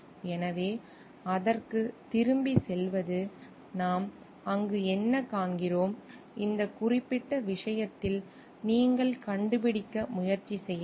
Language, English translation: Tamil, So, going back to that, whatt we find over there, in this particular case is you may also try to find out like